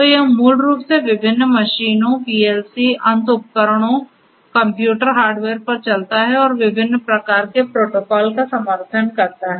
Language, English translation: Hindi, So, it basically runs on different machines PLCs, end devices, computer hardware and so on and supports different varied different types of protocols